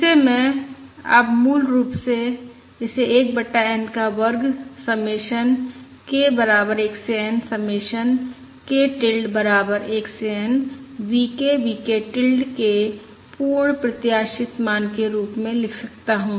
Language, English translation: Hindi, this variance is equal to 1 over n square submission k equal to 1 to n submission k tilde equals 1 to n expected value of V K times V k tilde